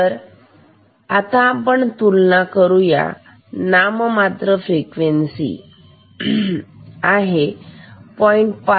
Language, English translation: Marathi, So, nominal frequency is 0